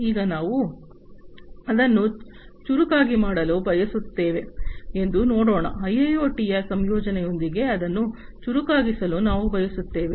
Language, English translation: Kannada, Now, let us look at we want to make it smarter right, we want to make it smarter with the incorporation of IIoT